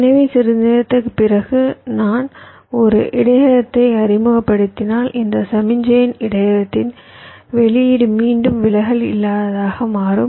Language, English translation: Tamil, so if i introduce a buffer after some time, so the output of the buffer, this signal, will again become distortion free